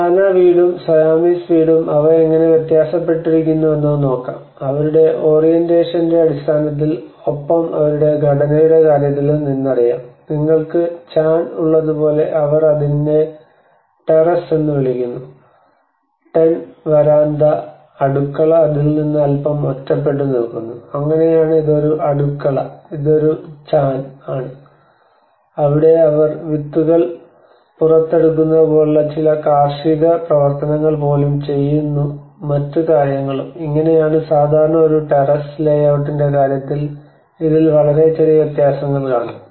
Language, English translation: Malayalam, And the Lanna house and the Siamese house how they differ you know in terms of their orientation, and in terms of their organizers, like you have the Chan they call it is the terrace the Tenn veranda and the kitchen has been little isolated from it and that is how this is a kitchen and this is a Chan where they do even some kind of agricultural activities like taking out the seeds and other things, and this is how the common terrace so this is a very slight difference in there in terms of the layout